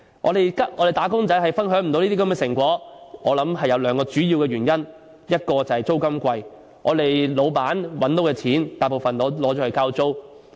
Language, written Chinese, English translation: Cantonese, 我們的"打工仔"不能分享這些成果，我想有兩個主要原因，第一是租金昂貴，老闆賺到的金錢大部分用作交租。, In my opinion our workers cannot share these fruits of economic development due to two main reasons . First this is due to exorbitant rental level . Most of the money earned by employers goes to rental payments